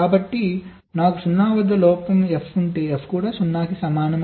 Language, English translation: Telugu, so if i have a fault, f stuck at zero, then also f equal to zero